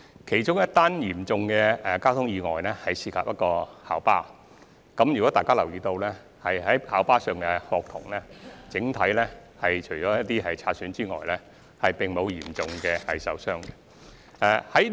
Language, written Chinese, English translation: Cantonese, 其中一宗嚴重的交通意外涉及一輛校巴，假如大家有留意，便知道校巴上的學童除有些擦傷外，整體而言，並無嚴重受傷。, Among those serious traffic accidents is one involving a school bus . Members may already know that if they have noticed students on board the school bus did not sustain serious injuries in general apart from a few scrapes